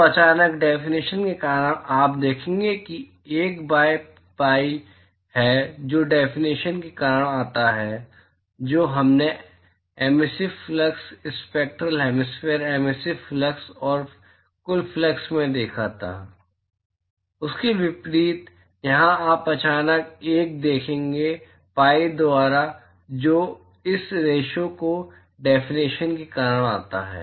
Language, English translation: Hindi, So, suddenly because of the definition, you will see that there is 1 by pi that is come in because of the definition, unlike what we saw in emissive flux, spectral hemispherical emissive flux and the total flux, here you will suddenly see a 1 by pi that comes because of the definition of this ratio